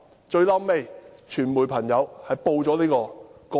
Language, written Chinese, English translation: Cantonese, "最後，傳媒朋友報道了這宗個案。, Eventually members of the media reported this case